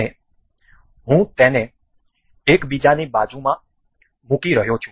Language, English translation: Gujarati, And I am placing it one one beside another